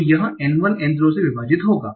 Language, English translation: Hindi, So it will be n1 divided by n0